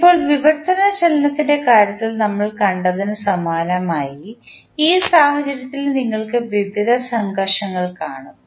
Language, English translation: Malayalam, Now, similar to what we saw in case of translational motion, in this case also we will see various frictions